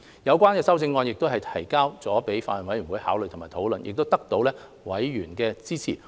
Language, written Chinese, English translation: Cantonese, 有關修正案均已提交法案委員會考慮及討論，並得到委員的支持。, These amendments were submitted to the Bills Committee for consideration and discussion and were supported by members